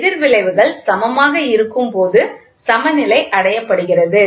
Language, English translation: Tamil, The balance is attained when the opposing effects are equal, ok